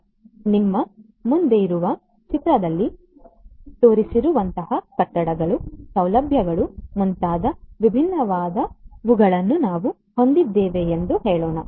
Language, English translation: Kannada, So, let us say that we have all these different ones like buildings, facilities, etcetera like the ones that are shown in the figure in front of you